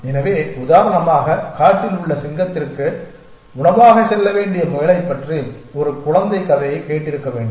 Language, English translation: Tamil, So, for example, you must have as a child heard a story about the rabbit who has to go to the lion in the jungle as food